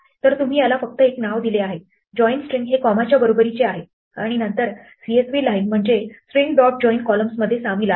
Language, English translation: Marathi, So, you have just given it a name here join string is equal to comma and then CSV line is join string dot join columns